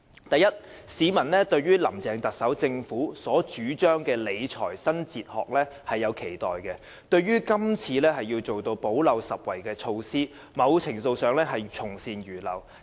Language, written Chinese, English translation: Cantonese, 第一，市民對於林鄭政府所主張的理財新哲學是有期待的，這次推出"補漏拾遺"的措施，在某程度上是從善如流。, Firstly members of the public do have expectation for the new fiscal philosophy advocated by Carrie LAMs administration and the present gap - plugging proposal somehow shows its receptive attitude